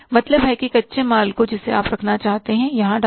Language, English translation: Hindi, Means the raw material you want to keep, you put it here